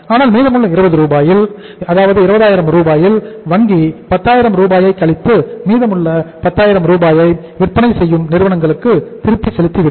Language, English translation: Tamil, So bank out of the remaining 20,000 Rs Still we have to wait for the 40 days, bank will deduct 10,000 Rs and 10,000 more rupees will be given to the selling firms